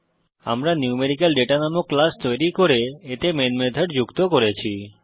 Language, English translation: Bengali, We have created a class NumericalData and added the main method to it